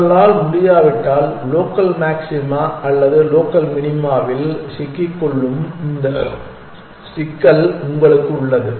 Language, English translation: Tamil, If you cannot, then you have this problem of having getting struck on local maxima or a local minima as the case